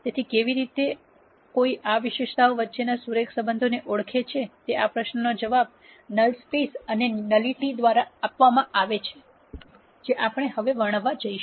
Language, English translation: Gujarati, So, this question of how does one identify the linear relationships among attributes, is answered by the concepts of null space and nullity which is what we going to describe now